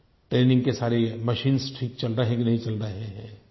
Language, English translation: Hindi, Are all the training machines functioning properly